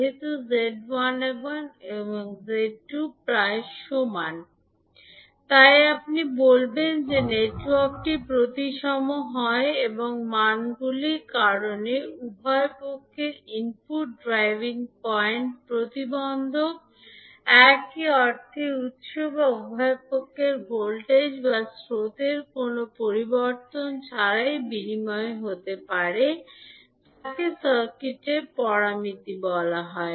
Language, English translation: Bengali, Since Z11 and Z22 are equal, so you will say that the network is symmetrical and because of the values that is input driving point impedance for both sides are same means the source or the voltage or current on both sides can be interchanged without any change in the circuit parameters